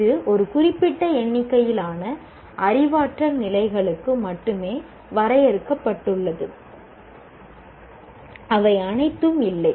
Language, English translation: Tamil, It is limited to only a certain number of cognitive levels, not all of them